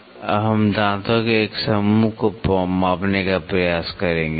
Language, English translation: Hindi, Now, we will try to measure for a set of teeth